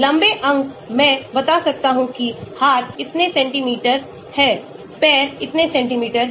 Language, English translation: Hindi, long limbs I can tell the hands are so many centimeters, legs are so many centimeters